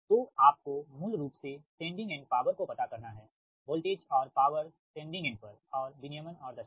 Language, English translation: Hindi, so you have to find out basically that sending end power voltage and power at the sending end and voltage regulation and efficiency